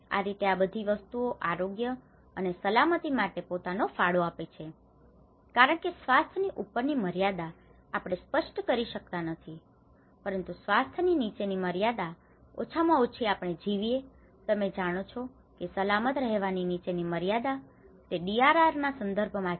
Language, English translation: Gujarati, This is how these all set of things contribute that health and safety itself because the upper limit of health we cannot define, but the lower limit of health is at least we are alive, you know that is lower limit of being safe, that is where the DRR context